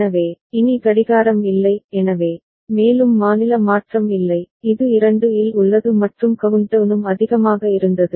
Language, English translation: Tamil, So, no more clocking; so, no more state change, it is remaining at 2 and countdown was also high